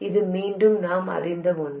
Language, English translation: Tamil, This is again something that we know